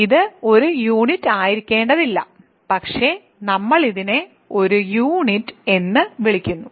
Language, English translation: Malayalam, So, it need not be a unit, but if it does we call it a unit